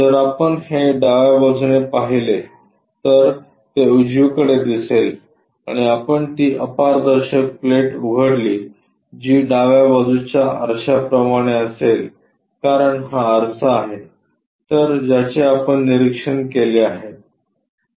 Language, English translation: Marathi, If if we observe it from left side, the view will be projected on right side, and we open that opaque plate which will be same as left side mirror because this is the mirror if we are observing it